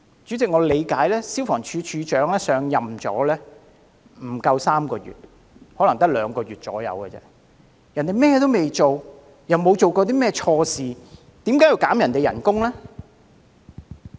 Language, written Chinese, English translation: Cantonese, 主席，據我所知，消防處處長上任不足3個月，可能只有大約兩個月，根本未及開展甚麼工作，亦沒有做過甚麼錯事，為何要削減他的薪酬呢？, Chairman as far as I know the Director of Fire Services has come to office for less than three months probably for only about two months . He has barely done anything or anything wrong why should he suffer a pay cut?